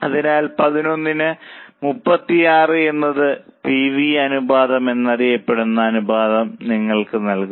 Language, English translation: Malayalam, So, 11 upon 36 will give you this ratio known as pv ratio